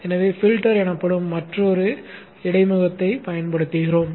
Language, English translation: Tamil, So we use another interface called the filter